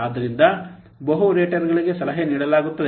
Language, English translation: Kannada, So multiple raters are required